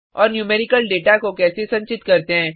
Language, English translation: Hindi, And How tostore numerical data